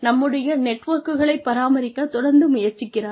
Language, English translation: Tamil, Constantly trying to maintain our networks